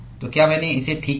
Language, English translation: Hindi, So, did I get it right